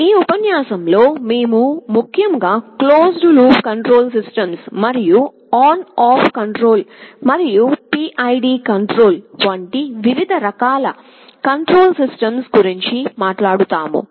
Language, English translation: Telugu, In this lecture, we shall be talking particularly about something called closed loop control systems, and the different kinds of controlling mechanism like ON OFF control and PID control